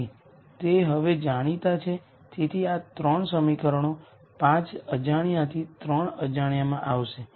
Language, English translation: Gujarati, So, those are now known so these 3 equations will go from 5 unknowns to 3 unknowns